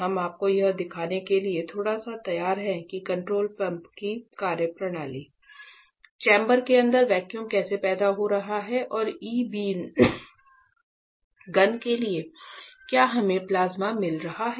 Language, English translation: Hindi, So, we are ready a bit to show you exactly the functioning of the control panel, how vacuum is getting created inside the chamber and for the E beam gun are we getting the plasma all those things